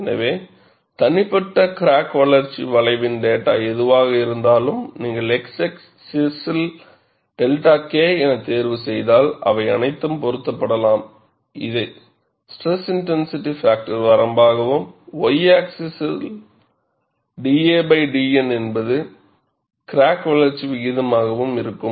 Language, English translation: Tamil, So, whatever the data of individual crack growth curve, all of them could be fitted, if you choose the x axis as delta K, which is the stress intensity factor range and the y axis as crack growth rate given by d a by d N